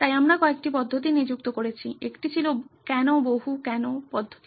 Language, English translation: Bengali, So we employed couple of methods one was the multi why approach